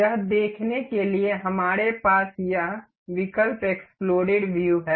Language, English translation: Hindi, To see that, we have this option exploded view